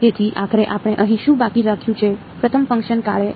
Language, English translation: Gujarati, So, finally, what all did we have left over here, the first term gave us